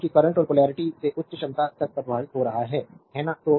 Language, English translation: Hindi, Because current is flowing from lower potential to higher potential, right